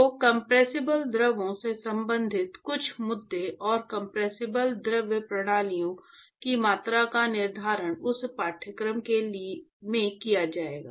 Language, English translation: Hindi, So, some issues related to compressible fluids and quantification of compressible fluid systems will be dealt with in that course